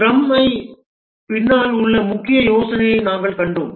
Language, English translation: Tamil, We have seen the main idea behind the scrum